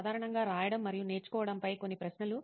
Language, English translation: Telugu, Just a few questions on writing and learning generally